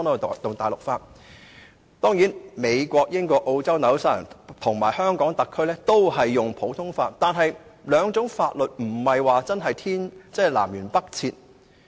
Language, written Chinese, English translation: Cantonese, 當然，美國、英國、澳洲、新西蘭和香港特區都是實行普通法，但這兩套法律並非真的南轅北轍。, Certainly the United States the United Kingdom Australia New Zealand and the Hong Kong SAR practise common law but these two sets of laws are not really poles apart